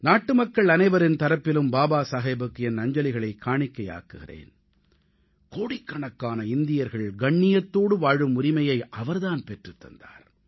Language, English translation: Tamil, I, on behalf of all countrymen, pay my homage to Baba Saheb who gave the right to live with dignity to crores of Indians